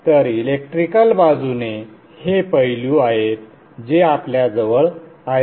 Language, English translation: Marathi, So on the electrical side these are the aspects that we have with us